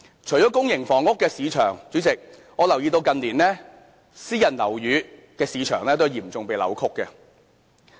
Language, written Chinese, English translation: Cantonese, 除了公營房屋的市場外，主席，我留意到近年私人樓宇的市場都有嚴重被扭曲。, Apart from public housing market President I notice that the private housing market has also been seriously distorted in recent years